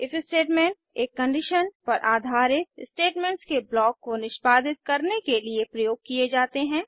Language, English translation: Hindi, If statementis used to execute a block of statements based on a condition